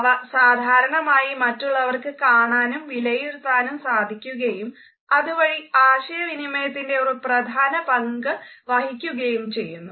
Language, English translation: Malayalam, They can normally be seen and evaluated by people and therefore, they form the basis of communication